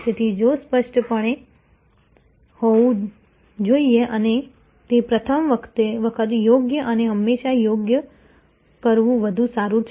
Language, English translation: Gujarati, So, if should be clear and it is better to do it the first time right and always right